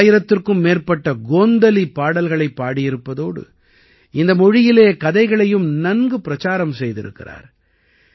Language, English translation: Tamil, He has sung more than 1000 Gondhali songs and has also widely propagated stories in this language